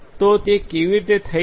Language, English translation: Gujarati, So, how that can be done